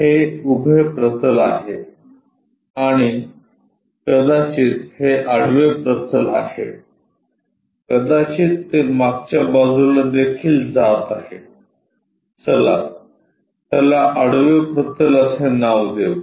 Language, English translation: Marathi, This is the vertical plane and perhaps this is the horizontal plane, maybe at back side also it goes, let us name it horizontal plane